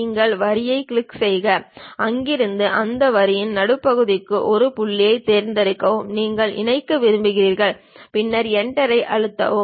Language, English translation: Tamil, You click the Line, pick one of the point from there to midpoint of that line, you would like to connect; then press Enter